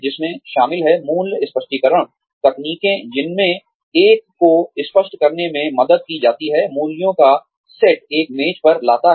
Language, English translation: Hindi, Which also include, value clarification techniques, in which, one is helped to clarify, the set of values, one brings to the table